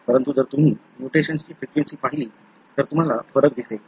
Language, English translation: Marathi, So, but if you look into the frequency of the mutation, then you see variation